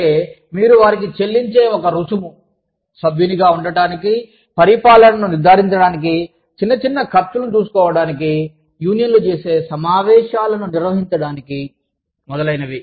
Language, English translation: Telugu, Union dues are the fees, that you pay, to become a member, to ensure the administration, to take care of small expenses, incurred by unions, in organizing meetings, etc